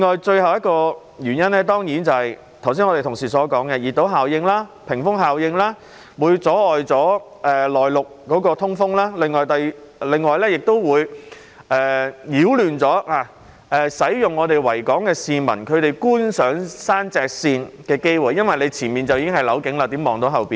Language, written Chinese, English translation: Cantonese, 最後一個原因當然是正如我的同事剛才所說，熱島和屏風效應會阻礙內陸的通風，亦會阻礙市民在維多利亞港觀賞山脊線的機會，因為前方已是樓景，怎能看到後方呢？, The last reason is of course as mentioned by my Honourable colleagues just now the heat island and wall effects will obstruct inland ventilation . It will also obstruct the public from enjoying the sight of the ridgelines at the Victoria Harbour because their front view will be blocked by the buildings . So how can they see the scenery behind?